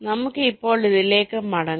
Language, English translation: Malayalam, ok, let us come back to this now